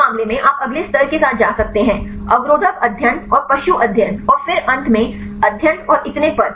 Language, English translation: Hindi, In this case, you can go with the next level; the inhibitor studies and the animal studies and then finally, studies and so on